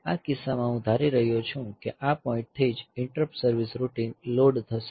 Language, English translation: Gujarati, In this case I am assuming that from this point on itself the interrupt service routine will be loaded